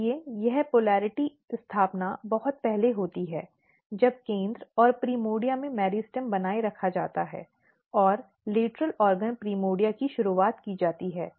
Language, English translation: Hindi, So, this polarity establishment occurs very early when meristem is getting maintained in the center and primordia and the lateral organ primordia is initiated